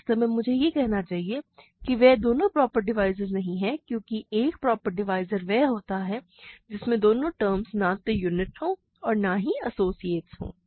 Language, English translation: Hindi, Actually, I should say they are both not proper divisors because a proper divisor is one where both terms are not units and not associates, right